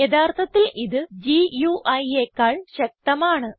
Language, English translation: Malayalam, In fact, it is more powerful than the GUI